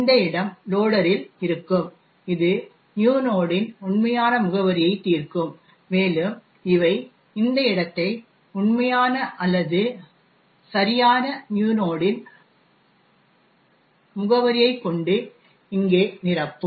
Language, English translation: Tamil, This location would be in the loader which essentially resolves the actual address of new node and these were would then fill in this location over here with the real or the correct address of new node